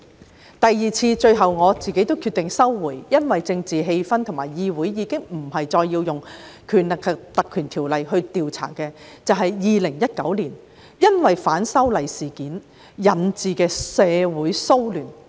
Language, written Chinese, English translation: Cantonese, 在第二次，我最後決定撤回預告，因為政治氣氛和議會已經不再需要動用《條例》調查2019年反修例事件引致的社會騷亂。, On the second occasion I decided to withdraw my notice at the end of the day because under the prevailing political atmosphere the legislature no longer saw the need to invoke the Ordinance for inquiring into the social upheaval resulting from the anti - legislative amendment incident in 2019